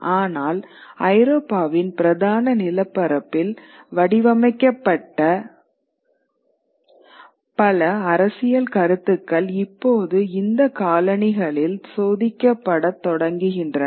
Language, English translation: Tamil, But many of the political ideas which are formulated in mainland Europe now start getting tested in these colonies